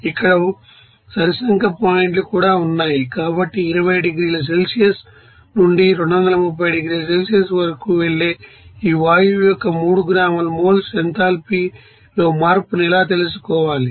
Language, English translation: Telugu, So, how to solve this problem to find out the change in enthalpy for you know 3 gram moles of this gas that is going from 20 degrees Celsius to 230 degree Celsius